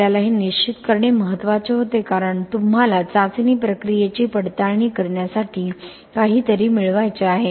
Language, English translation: Marathi, It was important we had to determining this because you have to get something which is to verify the testing procedure, right